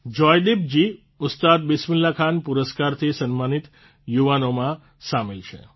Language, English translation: Gujarati, Joydeep ji is among the youth honored with the Ustad Bismillah Khan Award